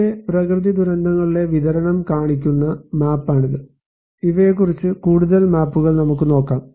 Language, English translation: Malayalam, Here, the map that showing the distribution of natural hazards let us look more maps on these